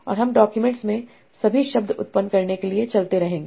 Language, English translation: Hindi, And this you will keep on doing for generating all the words in the document